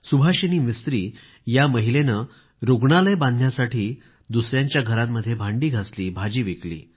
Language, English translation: Marathi, Subhasini Mistri is a woman who, in order to construct a hospital, cleaned utensils in the homes of others and also sold vegetables